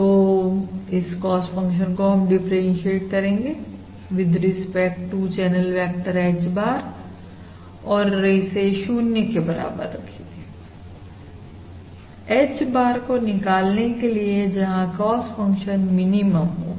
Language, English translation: Hindi, So, basically, I have to differentiate this cost function with respect to the channel vector H bar and set it equal to 0 to find the ah, to find the H bar, for with this cost function is minimum